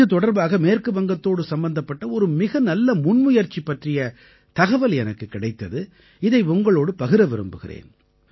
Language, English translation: Tamil, In this very context, I came to know about a very good initiative related to West Bengal, which, I would definitely like to share with you